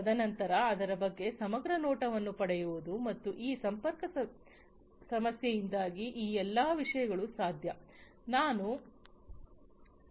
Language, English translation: Kannada, And then getting an a holistic view of it and all these things are possible due to this connectivity issue, that I told you the earlier